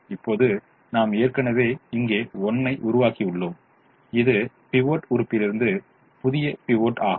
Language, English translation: Tamil, we created a one here, which is the new pivot from the pivot element